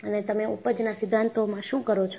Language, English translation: Gujarati, And, what you do in yield theories